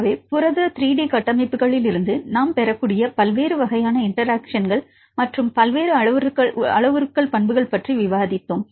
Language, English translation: Tamil, So, we discussed about various types of interactions, and various parameters properties which we can derive from protein 3 D structures